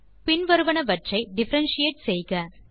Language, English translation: Tamil, Differentiate the following